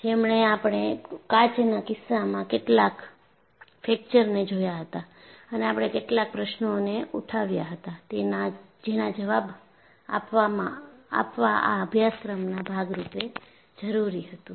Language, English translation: Gujarati, And finally, we had seen some fractures in the case of glass and we raised certain questions that need to be answered as part of this course